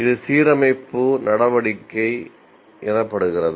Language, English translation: Tamil, This is what you call as the alignment